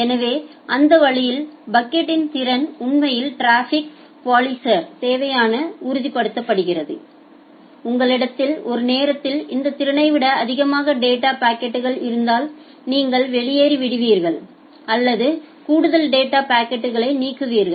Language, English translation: Tamil, So, that way the capacity of the bucket is actually confirming the requirement for traffic policer, like if you are exceeding this much of capacity at a time then you drop out or you delete drop the additional packets additional data packets which are there